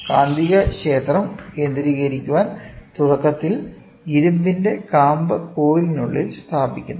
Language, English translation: Malayalam, To concentrate the magnetic field, initially the iron core is placed inside the coil